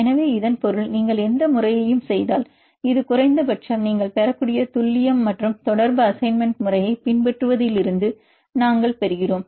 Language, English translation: Tamil, So that means, if you make any method this is a minimum accuracy and correlation you can get, we gets from the assigning a method